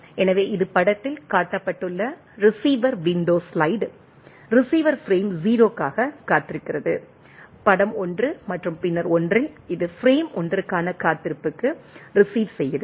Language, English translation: Tamil, So, this is the receiver window slide shown in the figure, the receiver is waiting for frame 0, in figure 1 and then 1, it is received slides to the waiting for frame 1